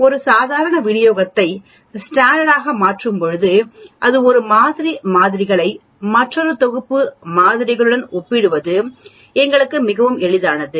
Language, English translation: Tamil, When we convert a normal distribution into standardized it becomes very easy for us to compare one set of samples with another set of samples and so on